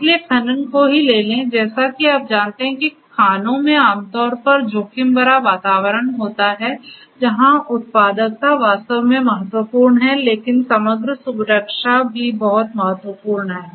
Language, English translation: Hindi, So, take the case of mining, in mines as you know that mines typically are risky environments where productivity is indeed important, but overall safety is also very important